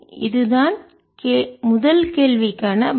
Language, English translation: Tamil, so this is the answer for the first questions